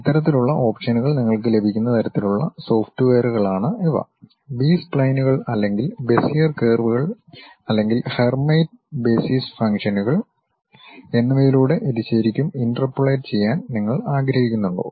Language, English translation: Malayalam, These are kind of softwares where you will have these kind of options, uh like whether you would like to really interpolate it like through B splines or Bezier curves or Hermite basis functions and so on